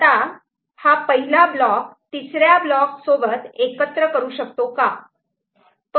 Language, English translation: Marathi, Now, can this first block be combined with block 3